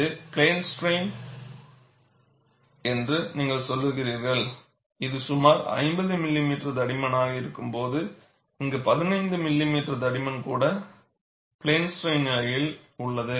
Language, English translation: Tamil, You say it is plane strain, when it is about 50 millimeter thickness; whereas, here, even a 15 millimeter thickness is in a situation of plane strain condition